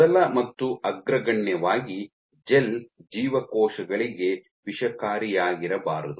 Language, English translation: Kannada, So, first and foremost the gel has to be non toxic to cells